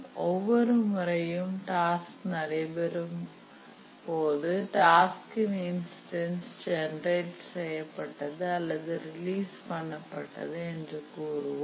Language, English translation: Tamil, And each time a task recurs, we say that an instance of the task or a job has been generated or released